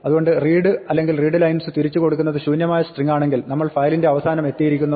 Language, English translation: Malayalam, So, read or readline if they return empty string its means that we have reached the end of the file